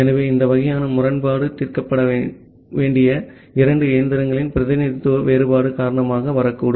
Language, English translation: Tamil, So that way this kind of inconsistency which may come due to the representation difference of two machines that can be solved